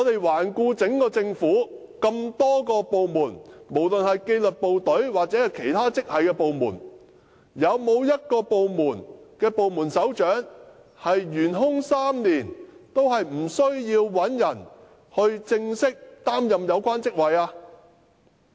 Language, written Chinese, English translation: Cantonese, 環顧各個政府部門，無論是紀律部隊抑或其他職系部門，有沒有一個部門首長職位會懸空3年之久，但仍無須有人正式擔任有關職位的呢？, Just look around the various government departments including the disciplined services departments and other departments do you think it is possible to find a department that allows any of its directorate posts to be left vacant for as long as three years and still does not feel the need to get it filled officially?